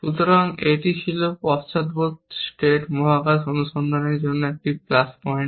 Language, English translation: Bengali, So, this was a plus point for backward state space search